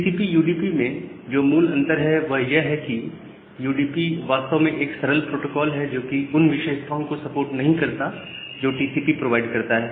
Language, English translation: Hindi, So, the basic difference between the TCP and UDP is that: UDP actually is a very simple protocol and it does not support the functionalities which are provided by TCP